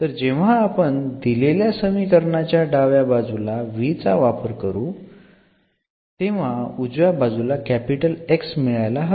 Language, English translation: Marathi, So, when we substitute here in the left hand side, this we should get the right hand side X